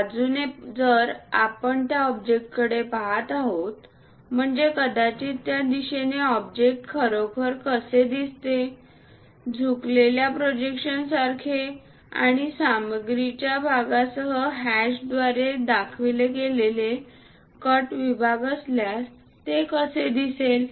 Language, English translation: Marathi, From side, if we are looking at that object, that means, perhaps in this direction, how the object really looks like inclined projections and also if there are any cut sections by showing it like a hash with material portion